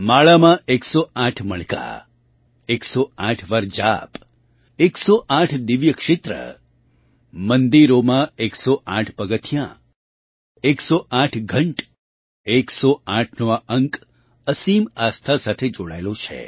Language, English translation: Gujarati, 108 beads in a rosary, chanting 108 times, 108 divine sites, 108 stairs in temples, 108 bells, this number 108 is associated with immense faith